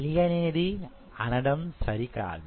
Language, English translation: Telugu, Unknown is a wrong word